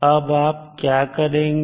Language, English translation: Hindi, Now, what you will do